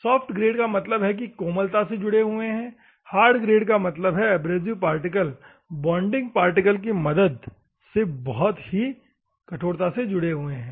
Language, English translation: Hindi, Soft grade means it holds softly; hard grade means it is, abrasive particles are held by the bonding material very hard